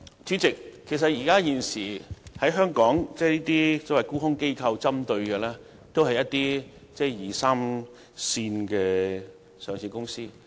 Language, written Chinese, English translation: Cantonese, 主席，現時這些沽空機構所針對的都是一些二三線的上市公司。, President short selling institutions are currently more interested in second - and third - tier listed companies